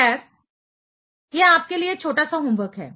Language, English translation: Hindi, Well, this is a small homework for you